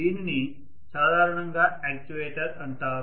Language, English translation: Telugu, So this is generally known as an actuator